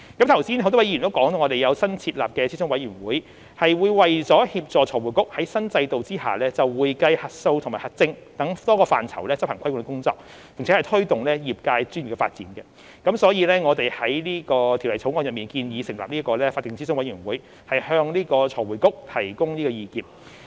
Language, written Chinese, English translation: Cantonese, 剛才很多位議員也提到，我們有新設立的諮詢委員會，是為了協助財匯局在新制度下就會計、核數和核證等多個範疇執行規管工作，並推動業界專業的發展，所以我們已在《條例草案》中建議成立法定諮詢委員會，向財匯局提供意見。, As mentioned by various Members just now we will set up a new advisory committee to facilitate FRCs regulatory work under the new regime in relation to a variety of areas in accounting audit and assurance as well as promotion of the development of the profession . For this reason we have proposed in the Bill the establishment of a statutory advisory committee to provide advice to FRC